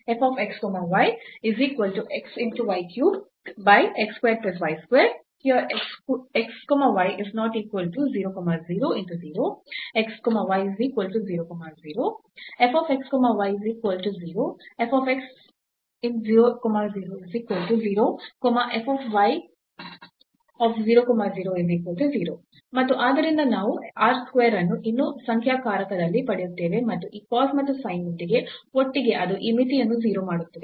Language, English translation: Kannada, And so, we will get r square still in the numerator and with this cos and sin together so, that will make this limit to 0